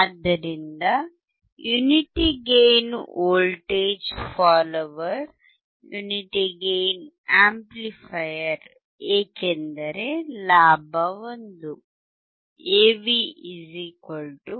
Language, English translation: Kannada, So, unity gain voltage follower, Unity gain amplifier because the gain is 1, AV = 1